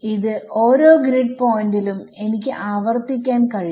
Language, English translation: Malayalam, I can repeat this at, I can repeat this at every grid point easiest thing